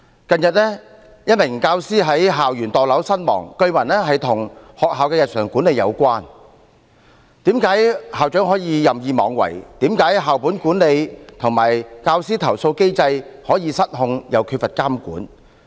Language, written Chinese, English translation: Cantonese, 近日一名教師在校園墮樓身亡，據聞與學校的日常管理有關，為何校長可以任意妄為，為何校本管理和教師投訴機制可以失控並缺乏監管？, Recently a teacher jumped to her death on a school campus and this was reportedly related to the daily management of the school . Why is it that a principal could act wilfully? . Why could school - based management and the mechanism for handling teacher complaints got out of control and lack supervision?